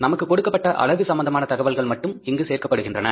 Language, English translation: Tamil, Only the unit's information is given to us which will be adding here